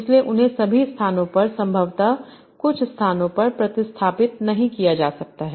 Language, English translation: Hindi, So they cannot be substituted at all places, probably in some places